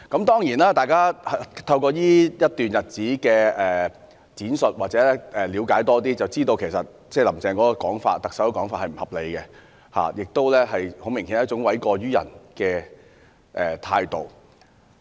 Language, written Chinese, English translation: Cantonese, 當然，經過這段日子的闡述，大家有更多的了解，從而知道"林鄭"的說法並不合理，顯然是一種諉過於人的態度。, Certainly after the explanations given during this past period the public now have a better understanding of the situation and know that Carrie LAMs remark is unreasonable obviously shifting the blame to others